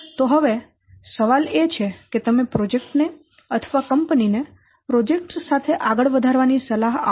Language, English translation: Gujarati, So now the question is, would you advise the project or the company going ahead with the project